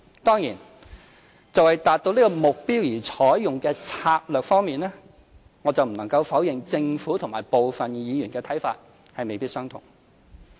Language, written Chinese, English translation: Cantonese, 當然，就為達到這個目標而應採用的策略方面，我不能否認政府與部分議員的看法未必相同。, Of course regarding the strategy to be adopted in order to achieve the goal I cannot deny that the Government and Members may not hold the same opinion